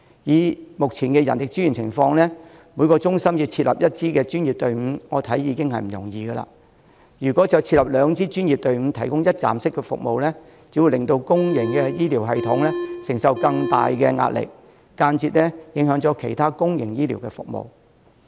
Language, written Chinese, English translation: Cantonese, 以目前的人力資源情況，每個中心要設立一支專業隊伍，我認為已經不容易，如果要設立兩支專業隊伍提供一站式服務，只會令公營醫療系統承受更大的壓力，間接影響其他公營醫療服務。, Given the present manpower I think setting up a professional team in each centre is already a difficult task . If we are to set up two professional teams to provide one - stop services it will only add to the pressure of the public health care system and indirectly affect other public health care services